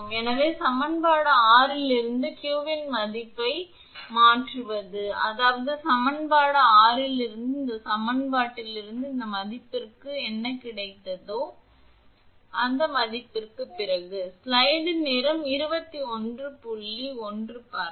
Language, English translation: Tamil, So, substituting this value of q from equation 6; that means, from this equation from equation 6 this value whatever you have got for this thing, after the value of q from equation 6 from this equation